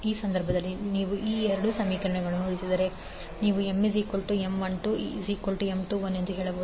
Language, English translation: Kannada, In that case, if you compare these two equations you can simply say that M 12 is equal to M 21